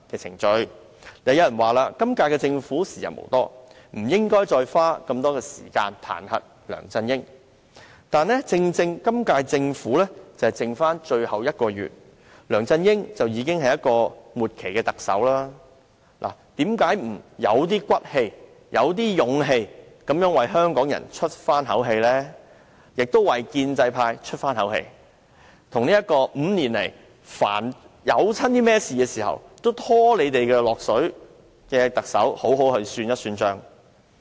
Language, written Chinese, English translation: Cantonese, 然而，有人說今屆政府已時日無多，不應該再花時間彈劾梁振英，但正因為今屆政府任期只剩下最後1個月，梁振英已是"末期特首"，何不有骨氣地、有勇氣地為香港人出一口氣，為建制派出一口氣，與這位5年來凡事都拖累他們的特首好好算帳？, Nonetheless some Members consider that we should no longer spend time to impeach LEUNG Chun - ying because the term of this Government will expire shortly . But it is precisely because this Government is in the last month of its term and LEUNG Chun - ying is the outgoing Chief Executive that we should act righteously and courageously for the sake of Hong Kong people as well as the pro - establishment camp so that they can also take the Chief Executive to task for always dragging their heels over the past five years